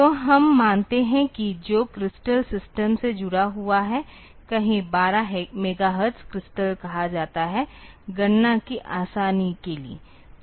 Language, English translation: Hindi, So, we assume that the crystal that is connected to the system is say 12 megahertz crystal; for the ease of calculation